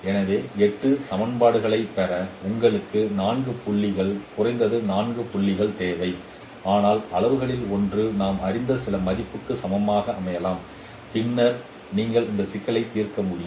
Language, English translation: Tamil, So you require four points, at least four points to get eight equations, but one of the parameters we can set it as equal to some known value and then we can solve this problem